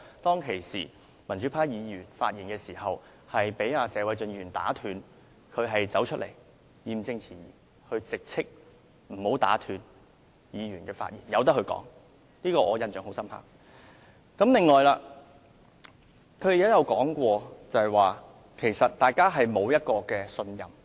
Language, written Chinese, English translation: Cantonese, 當時，民主派議員發言被謝偉俊議員打斷，石議員義正詞嚴地直斥不應打斷議員的發言，應讓相關議員繼續陳辭，我對此印象非常深刻。, Back then when Mr Paul TSE interrupted the speech of a pro - democracy Member Mr SHEK spoke sternly that no interruption was allowed and the Member should be allowed to continue with his speech . I was really impressed